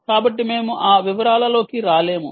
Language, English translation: Telugu, so we will ah not get into that detail